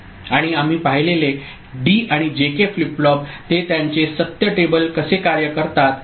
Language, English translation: Marathi, And D and JK flip flops we have seen; how they work their truth table